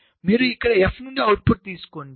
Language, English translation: Telugu, so you take the output from here